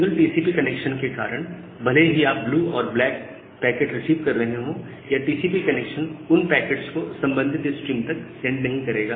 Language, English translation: Hindi, Even if you are receiving blue packets and the black packets, because you have a single TCP connection, the TCP connection will not send those packets to the corresponding stream